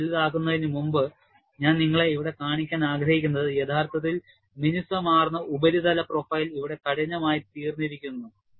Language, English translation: Malayalam, Before I magnify, what I want to show you here is, the surface profile which was originally smooth, has become roughened here